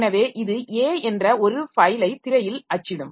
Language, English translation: Tamil, So, it will print the file A onto the screen